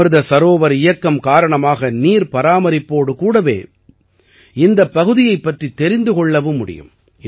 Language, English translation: Tamil, Due to the Amrit Sarovar Abhiyan, along with water conservation, a distinct identity of your area will also develop